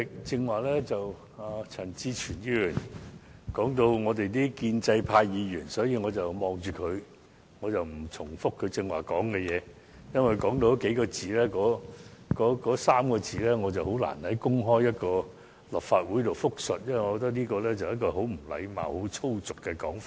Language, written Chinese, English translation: Cantonese, 主席，陳志全議員剛才曾提到建制派議員，我不在此重複他的說話，因為他所說的那3個字，我很難在立法會公開複述，因我認為那是很不禮貌和粗俗的說法。, President Mr CHAN Chi - chuen has mentioned pro - establishment Members just now . I am not going to repeat his wording because I regard the three words he said as rude and coarse rending it difficult for me to repeat publicly in the Legislative Council